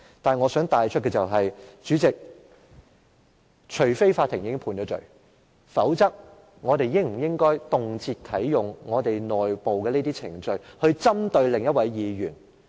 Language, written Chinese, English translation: Cantonese, 不過，我想帶出的是，主席，除非法院已經判罪，否則，我們應否動輒啟動我們內部的程序針對另一位議員？, However President I would like to bring forth the point that unless a Member is convicted by the Court we should not hastily activate our internal procedures against another Member